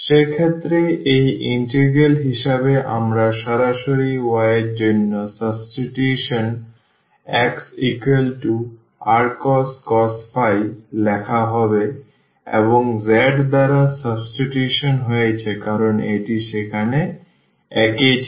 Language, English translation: Bengali, In that case this integral will be written as so, the direct substitution for x here r cos phi for y we have replaced by r sin phi and z because it was same there